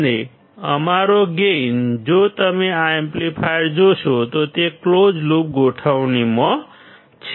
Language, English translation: Gujarati, And our gain, if you see this amplifier it is in the closed loop configuration